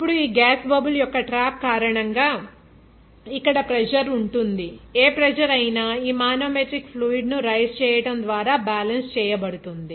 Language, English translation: Telugu, Now, because of this trapping of this gas bubble, there will be pressure whatever pressure will be exerted here that will be balanced by this here manometric fluid up to this rise